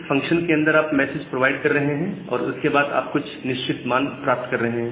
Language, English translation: Hindi, So, inside that function you are providing the message and then you are getting certain value